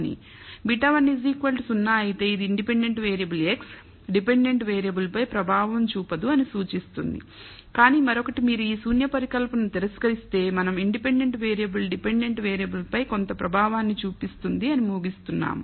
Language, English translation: Telugu, If beta 1 is equal to 0 it implies that the independent variable x has no effect on the dependent variable, but on the other hand if you reject this null hypothesis we are concluding that the independent variable does have some effect on the dependent variable